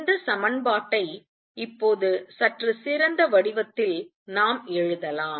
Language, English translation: Tamil, Lets us write this equation in a slightly better form now